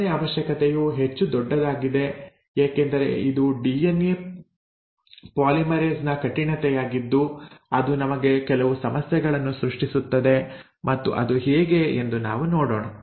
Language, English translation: Kannada, The second requirement is the more bigger of a deal because it is this stringency of DNA polymerase which will create some problems for us and we will see how